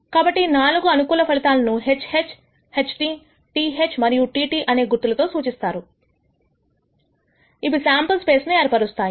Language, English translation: Telugu, So, these are the four possible outcomes denoted by the symbol HH, HT, TH and TT and that constitutes what we call the sample space